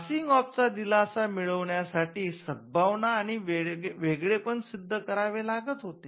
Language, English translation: Marathi, Now, to get a relief of passing off, you had to prove goodwill and you had to show distinctiveness